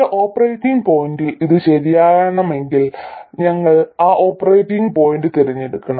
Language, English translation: Malayalam, If it is true around a certain operating point, we have to choose that operating point